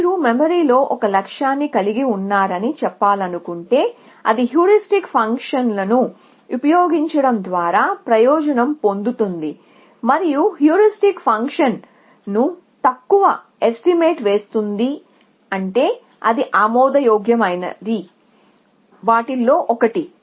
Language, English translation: Telugu, If you want to say it has a goal in mind and therefore, it benefits from the use of a heuristic function, and if the heuristic function is underestimating function then that is one of the conditions for admissibility